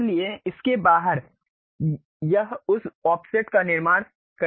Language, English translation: Hindi, So, outside of that it is going to construct that offset